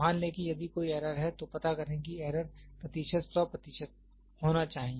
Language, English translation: Hindi, Suppose if there error, find out the error percentage so, it has to be 100 percent